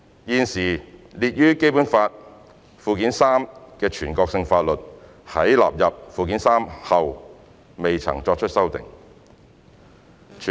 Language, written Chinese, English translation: Cantonese, 現時列於《基本法》附件三的全國性法律在納入附件三後未曾作出修訂。, The national laws currently listed in Annex III to the Basic Law have not been amended since their inclusion in Annex III